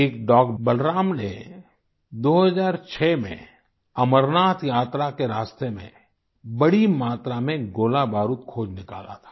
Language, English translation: Hindi, One such canine named Balaram sniffed out ammunition on the route of the Amarnath Yatra